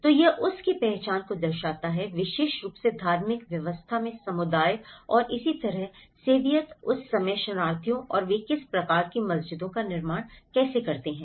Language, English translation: Hindi, So, it reflects the identity of that particular community in the religious system and similarly, the Soviet that time refugees and how they build this kind of mosques